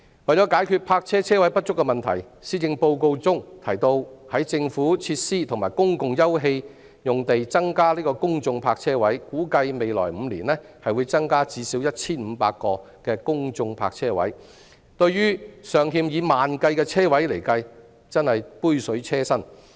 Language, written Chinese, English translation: Cantonese, 為解決泊車車位不足的問題，施政報告中提到會在政府設施和公共休憩用地增加公眾泊車位，估計未來5年會增加最少 1,500 個公眾泊車位，但對於尚欠以萬計的車位而言真是杯水車薪。, For the purpose of resolving the problem of insufficient parking spaces the Policy Address mentions increasing the number of public parking spaces in government facilities and public open space . Although it is estimated that at least 1 500 public parking spaces will be increased in the coming five years this is nothing more than a drop in the bucket in the face of a shortfall of tens of thousands of parking spaces